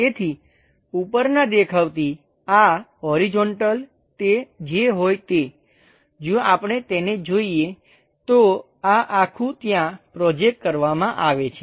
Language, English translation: Gujarati, So, whatever these horizontal from top view, if we are looking at it, there is a entire thing projected there